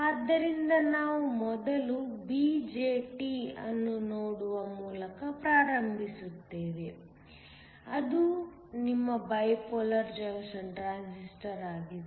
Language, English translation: Kannada, So, we will first start by looking at BJT, which is your Bipolar Junction Transistor